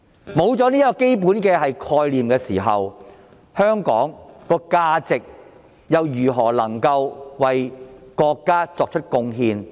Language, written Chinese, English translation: Cantonese, 失去了這個基本概念，香港如何能夠為國家作出貢獻？, Without this fundamental concept how could Hong Kong contribute to our country?